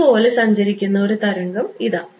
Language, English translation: Malayalam, Here is a wave traveling like this